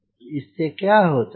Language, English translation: Hindi, so now then what happens